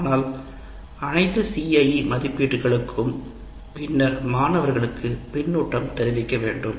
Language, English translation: Tamil, So one needs to give feedback to students after all CIE assessments